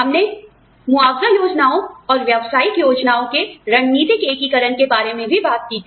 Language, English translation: Hindi, We also talked about, strategic integration of compensation plans and business plans